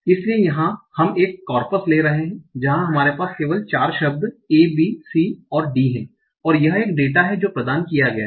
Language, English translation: Hindi, So here we are taking it corpus where we are having only 4 words, A, B, C and D, and this is some data that is provided